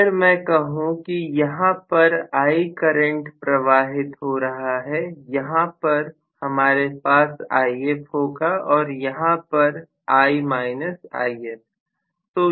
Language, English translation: Hindi, So, if I say that the current flowing here is I, I will have, this is If whereas this will be I minus If, right